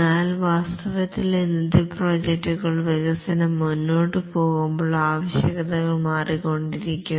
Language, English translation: Malayalam, But then in reality the present projects, the requirements keep on changing as development proceeds